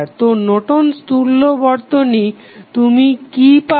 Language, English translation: Bengali, So, you get the Norton's equivalent of the circuit